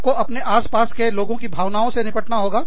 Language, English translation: Hindi, You have to deal with, the emotions of the people, around you